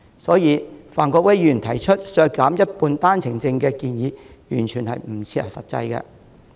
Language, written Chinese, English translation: Cantonese, 所以，范國威議員提出削減一半單程證的建議完全不切實際。, Hence Mr Gary FANs suggestion of slashing half of the OWP quota is utterly impractical